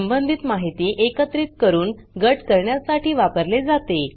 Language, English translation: Marathi, It is used to group related information together